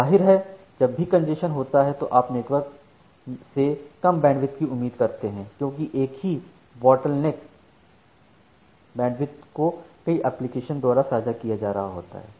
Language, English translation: Hindi, Obviously, whenever the congestion is there you are expecting less bandwidth from the network, because the same bottleneck bandwidth is getting shared by multiple applications